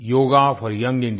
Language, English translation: Hindi, Yoga for Young India